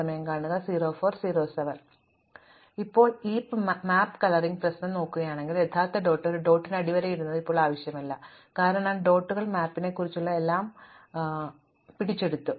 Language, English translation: Malayalam, So, now if you look at this map coloring problem, the actual map underlying these dots is now not necessary anymore, because the dots captured everything about the map